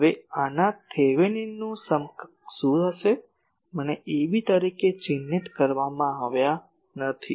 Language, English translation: Gujarati, Now, what will be the Thevenin’s equivalent of this, I am not marked a b